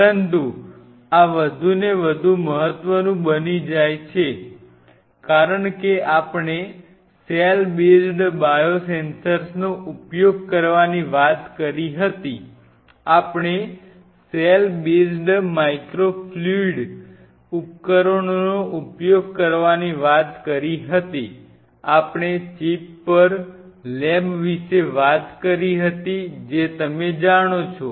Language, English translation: Gujarati, But these becomes more and more important as we talk about using cell based biosensors we talked about using microfluidic devices cell based microfluidic devices we talked about you know lab on a chip